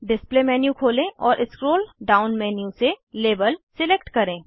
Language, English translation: Hindi, Open the display menu, and select Label from the scroll down menu